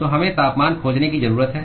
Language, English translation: Hindi, So, we need to find the temperatures